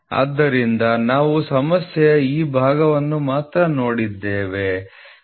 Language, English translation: Kannada, So, we are just looking at only this parts of the problem